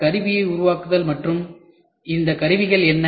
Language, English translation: Tamil, Making of tool and these tools are What